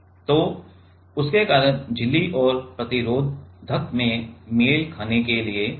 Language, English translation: Hindi, So, because of that to match the membrane and the resistor